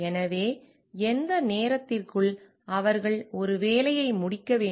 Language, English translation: Tamil, So, within what time they need to finish a job